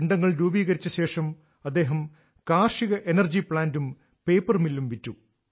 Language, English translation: Malayalam, After having made the bundles, he sold the stubble to agro energy plants and paper mills